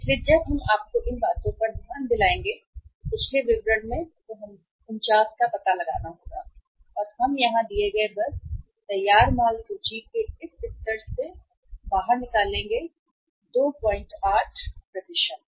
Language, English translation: Hindi, So when we have to find out the 49 here if you go back in the previous details if you look at these things given to us here just simply you you take out this level of finished goods inventory which is 2